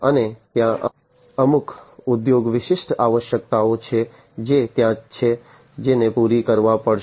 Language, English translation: Gujarati, And there are certain industry specific requirements that are there, which will have to be catered to